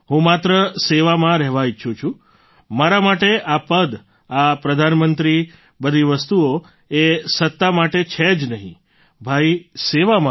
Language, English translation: Gujarati, I only want to be in service; for me this post, this Prime Ministership, all these things are not at all for power, brother, they are for service